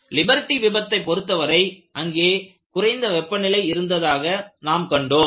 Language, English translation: Tamil, And in the case of Liberty failure, you found that there was low temperature